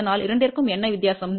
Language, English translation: Tamil, So, what is the difference between the two; that is 0